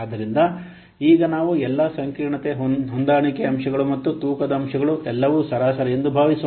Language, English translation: Kannada, So, now let's assume that all the complexity adjustment factors and weighting factors they are average